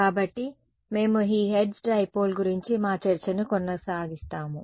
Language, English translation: Telugu, So, we will continue our discussion of this Hertz Dipole